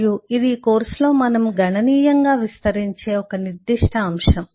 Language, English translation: Telugu, and this is one specific aspect which we will expand on significantly in this course